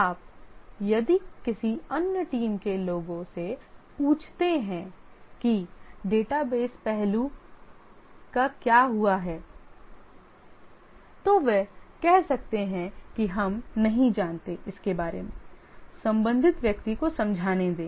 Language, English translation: Hindi, The others, if you ask them that what happened to the database aspect, then they may say that we don't know, let the corresponding person come, he will explain